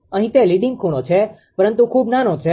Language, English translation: Gujarati, Here, it is leading angle but very small, but leading angle